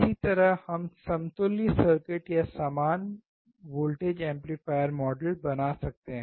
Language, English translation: Hindi, That is how we can draw the equivalent circuit or equal voltage amplifier model